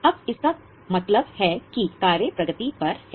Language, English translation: Hindi, Now what is meant by work in progress